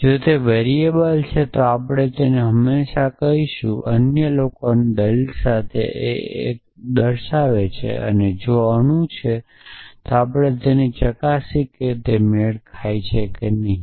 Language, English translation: Gujarati, So, if it is a variable then we just I call it call var unify with others argument if it is an atom we check whether it is matching or not essentially